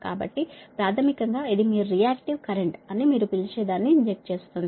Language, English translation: Telugu, so basically it injects your what you call in the line that your reactive current, right